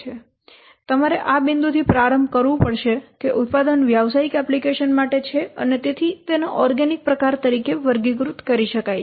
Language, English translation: Gujarati, So we have to start from this point that the product is for business application and hence it can be classified as organic type